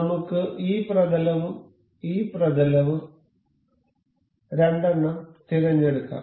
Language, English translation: Malayalam, Let us just select two this face and this face